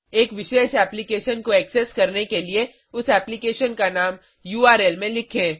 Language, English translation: Hindi, To access a particular application type that application name in the URL